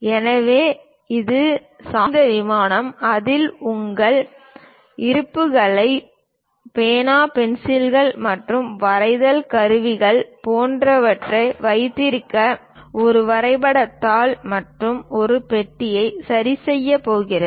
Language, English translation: Tamil, So, an inclined plane on which one will be going to fix a drawing sheet and a compartment to keep your reserves like pen, pencils, and drawing equipment